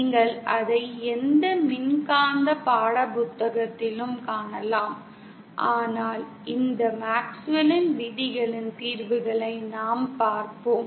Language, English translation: Tamil, You can find it in any electromagnetic textbook but what we will cover is the solutions of these MaxwellÕs laws